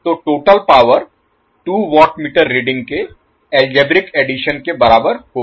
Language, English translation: Hindi, So this is what we get from the two watt meter algebraic sum